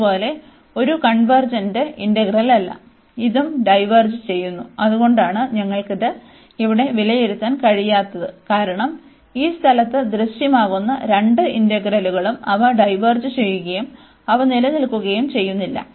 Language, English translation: Malayalam, Similarly, this is also not in convergent integral, this also diverges and that is the reason, we cannot evaluate this here, because both the integrals appearing at this place they diverges and they do not exist